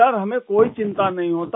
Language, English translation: Hindi, Sir, that doesn't bother us